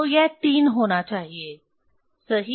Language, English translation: Hindi, So, it has to be 3 right